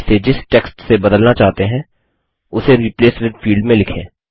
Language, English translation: Hindi, Enter the text that you want to replace this with in the Replace with field